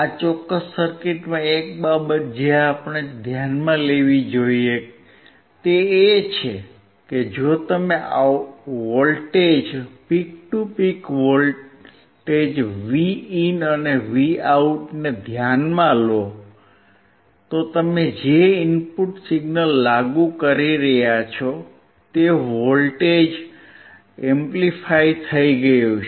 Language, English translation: Gujarati, One thing that we have to notice in this particular circuit is that the input signal that you are applying if you consider the voltage peak to peak voltage Vin and Vout, the voltage has been amplified; peak to peak voltage is higher when it comes to the output voltage